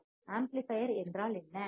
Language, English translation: Tamil, And what is amplifier